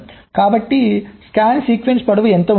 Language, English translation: Telugu, so what is scan sequence length